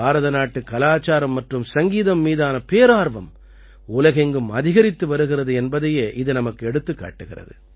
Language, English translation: Tamil, This shows that the craze for Indian culture and music is increasing all over the world